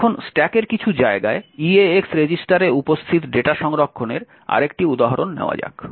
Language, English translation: Bengali, Now let us take another example where we want to load some arbitrary data into the eax register